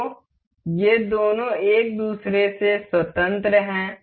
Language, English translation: Hindi, So, both of these are independent of each other